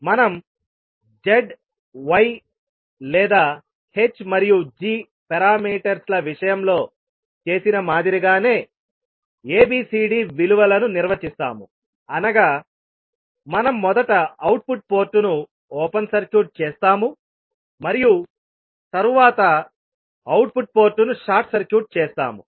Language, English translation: Telugu, We will define the values of ABCD similar to what we did in case of Z Y or in case of H and G parameters, means we will first open circuit the output port and then we will short circuit the output port and find out the value of ABCD parameters